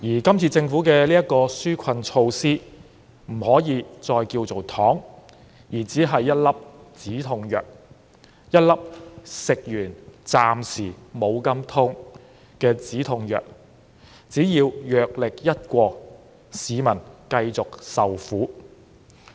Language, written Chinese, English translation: Cantonese, 這次政府推出的紓困措施不可以再叫做"糖"，只是一粒"止痛藥"，一粒暫時減輕痛楚的"止痛藥"，但藥力一過，市民還是繼續受苦。, The relief measures introduced by the Government this time around cannot be called candies . They are merely a painkiller which alleviates the pain temporarily . Once its efficacy fades people will continue to suffer